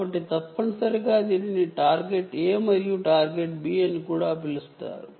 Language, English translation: Telugu, so essentially this is also called target a and target b, target a and target target b